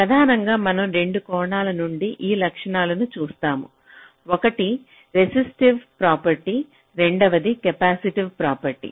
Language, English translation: Telugu, so mainly we shall be looking at those properties from two angles: one would be the resistive properties and the second would be the capacitive properties